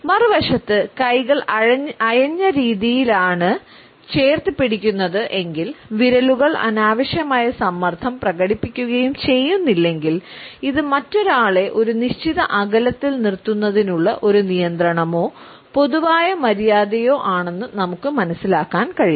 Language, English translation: Malayalam, On the other hand if the hands are only loosely clenched and fingers do not display any unnecessary pressure, we can understand that it is either a restraint or a common courtesy to keep the other person at a certain distance